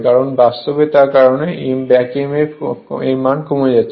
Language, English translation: Bengali, So, naturally your back Emf will decrease right